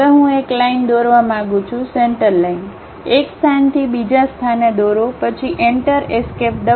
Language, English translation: Gujarati, Now, I would like to draw a line, Centerline; draw from one location to other location, then press Enter, Escape